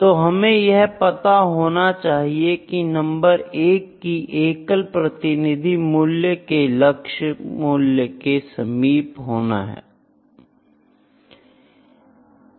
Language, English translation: Hindi, We need to have number 1 a single representative value, representative value means that is should be close to your target value